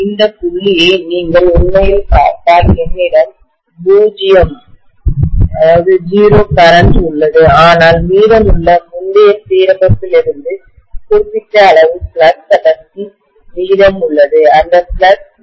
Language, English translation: Tamil, And if you actually look at this point where I am having 0 current but certain value of flux density left over from the previous alignment that is remaining, that flux is remaining